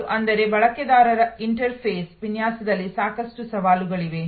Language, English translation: Kannada, And; that means, that there are lot of challenges in user interface design